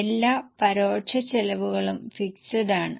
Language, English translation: Malayalam, All indirect costs are fixed